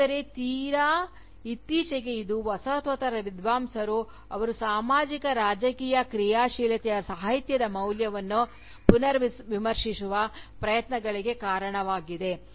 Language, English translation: Kannada, But, more recently, this has resulted in attempts, by Postcolonial scholars, to rethink the value of Literature, vis à vis, their Socio Political activism